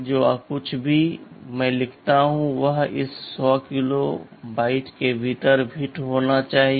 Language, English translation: Hindi, WSo, whatever I write must fit within this 100 kilobytes